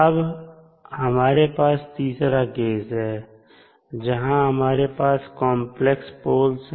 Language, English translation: Hindi, Now, we have a third case, where we have complex poles